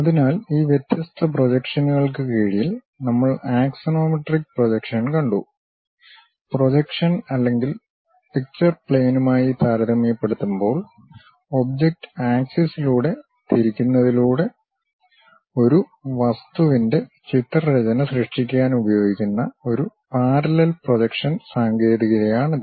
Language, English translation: Malayalam, So, under these different projections, we have seen axonometric projection; it is a parallel projection technique used to create pictorial drawing of an object by rotating the object on axis, relative to the projection or picture plane